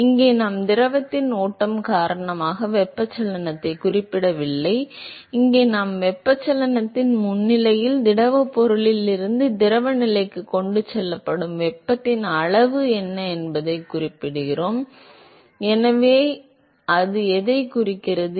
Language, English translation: Tamil, So, here we are not referring to convection because of the flow of the fluid, here we are referring to what is the extent of heat that is transported from the solid to the fluid phase in the presence of convection, so that is what it signifies